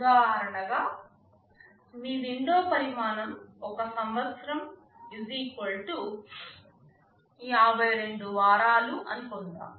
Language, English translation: Telugu, As an example, suppose your window size is I year = 52 weeks